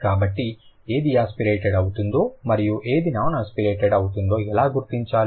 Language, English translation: Telugu, So, how to identify which one is aspirated and which one is non aspirated